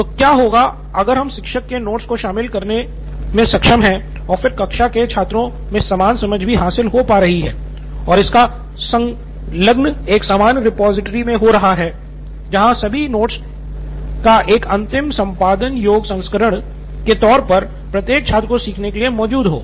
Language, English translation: Hindi, So what if we are able to incorporate the teacher’s notes and then understanding that is coming from the students from her class basically and compile that all into the that common repository wherein a finalized editable version of the note is present for each and every student to learn